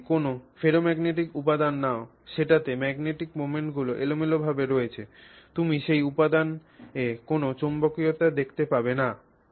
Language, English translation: Bengali, So, if you take a ferromagnetic material, you will see zero magnetism from that material if the magnetic moments are randomly oriented, right